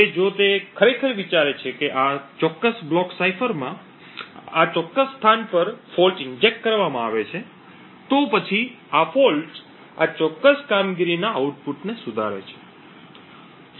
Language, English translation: Gujarati, Now if he actually think that a fault is injected say at this particular location in this particular block cipher, this fault modifies the output of this particular operation